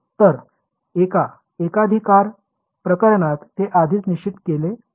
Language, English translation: Marathi, So, in a monostatic case it is already fixed